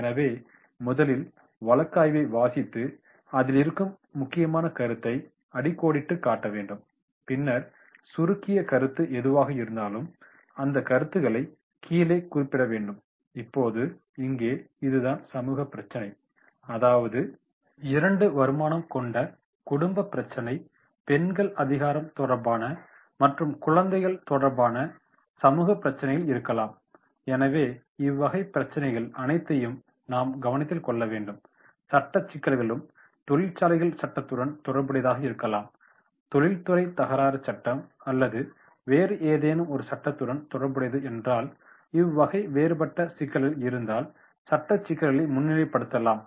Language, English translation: Tamil, So in the case of the first reading the case, underlining the case and then whatever abbreviations are there, those abbreviations are to be noted down and now here that is the whatever the checklist we are preparing on the basis of social issues, the social issues then there can be social issues related to the double income family, related to the women empowerment, related to child labour, so all these issues we have to take into consideration there can be legal issues also may be related to the factories act, may be related to the industrial dispute act or any other act then if these type of different issues are there then legal issues that can be also highlighted